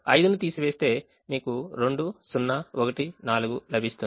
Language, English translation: Telugu, subtracting five, you will get two zero, one, four